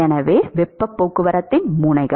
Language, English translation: Tamil, So, the nodes of heat transport